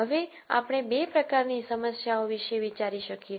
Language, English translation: Gujarati, Now, we can think of two types of problems